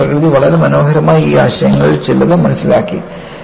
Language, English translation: Malayalam, So, the nature has understood, so beautifully, some of these concepts